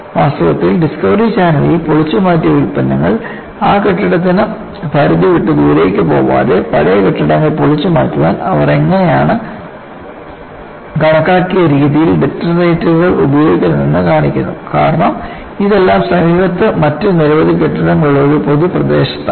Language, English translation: Malayalam, In fact, in the discovery channel, they show how they use detonators in a calculated fashion to demolish old buildings without the product of demolition, go out of that building range because it is all in a public locality where several other buildings are nearby